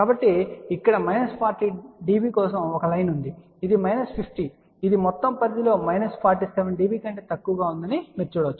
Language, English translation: Telugu, So, here is a line for minus forty db this is minus 50 you can see that this is less than minus 47 db over the entire range